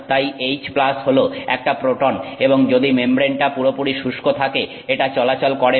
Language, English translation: Bengali, So, H plus is a proton and it does not move if it is if the membrane is completely dry